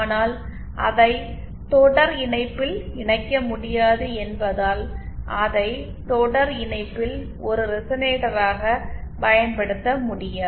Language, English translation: Tamil, But it will not be able to but since it cannot be connected in series, hence it cannot be used as a resonator in series